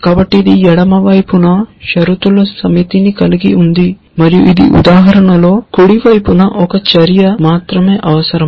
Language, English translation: Telugu, So, it has a set of conditions on the left hand side and in this example only one action on the right hand side essentially